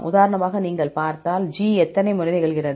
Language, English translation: Tamil, For example, if you see, how many times G occurs